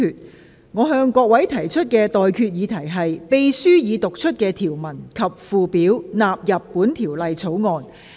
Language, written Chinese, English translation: Cantonese, 我現在向各位提出的待決議題是：秘書已讀出的條文及附表納入本條例草案。, I now put the question to you and that is That That the clauses and schedule read out by the Clerk stand part of the Bill